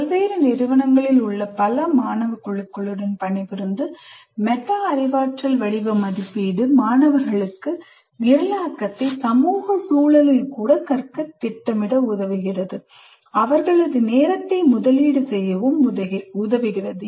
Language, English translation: Tamil, Working with several groups of students at different institutions established, metacognitive, formative assessment helps students plan and invest time in learning programming even in the social context where learning programs will be enough to pass and score good grades